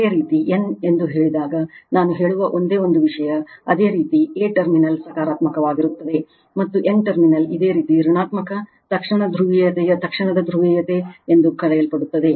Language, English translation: Kannada, Only one thing I tell when you say a n, you take a terminal is positive, and n terminal is your what you call negative right in instantaneous polarity in instantaneous polarity